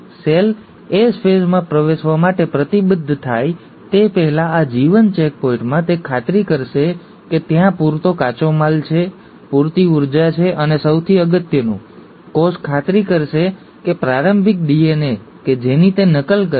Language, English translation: Gujarati, Before the cell commits to enter into S phase, and in this G1 checkpoint, it will make sure that there is sufficient raw material, there is sufficient energy and most importantly, the cell will make sure that the initial DNA that it's going to duplicate